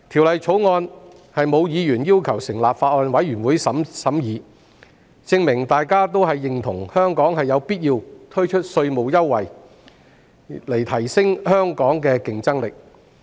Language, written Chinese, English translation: Cantonese, 沒有議員要求成立法案委員會審議《條例草案》，證明大家認同香港必須推出稅務優惠，以提升競爭力。, The fact that no Member asked for the establishment of a Bills Committee to scrutinize the Bill illustrate our consensus that Hong Kong must introduce tax concessions to enhance its competitiveness